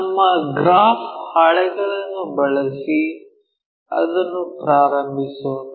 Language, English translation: Kannada, Let us begin that using our graph sheets